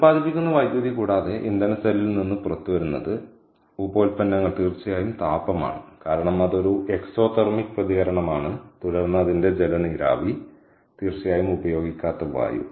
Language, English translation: Malayalam, and what comes out off of the fuel cell, apart from electricity that is generated, the byproducts is heat, definitely, because its an exothermic reaction, and then its water vapour, ok, and of course unused air, clear